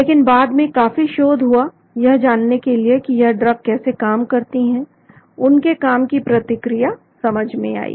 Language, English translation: Hindi, But later on lot of research done to understand how the drugs acted the mechanism of action was understood